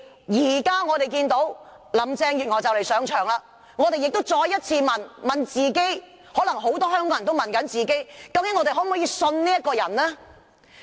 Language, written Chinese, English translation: Cantonese, 如今，林鄭月娥即將上任，於是我們再問自己，很多香港人也在問自己，究竟可否相信這個人？, Now as Carrie LAM is about to take office we must ask ourselves again whether Hong Kong can trust this person